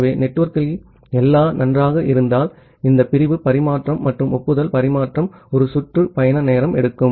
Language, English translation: Tamil, So, ideally if everything is good in the network, then this segment transmission and the acknowledgement transmission it will take one round trip time